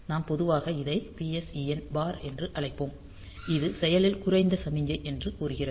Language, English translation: Tamil, So, we will generally call it as PSEN bar; telling that this is a active low signal